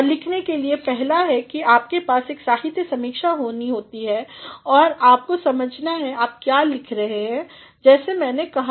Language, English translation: Hindi, And, in order to write, first is that you need to have a literature review and you need to understand why you are writing as I said